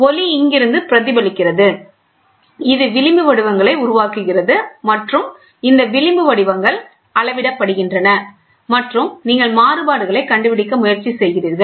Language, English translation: Tamil, So, the light gets reflected from here, this creates fringe patterns and these fringe patterns are measured and you try to find out the variations